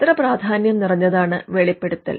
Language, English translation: Malayalam, How important is the disclosure